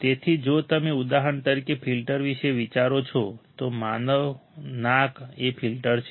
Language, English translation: Gujarati, So, if you think about a filter for example, human nose is the filter